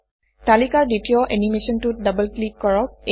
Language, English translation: Assamese, Double click on the second animation in the list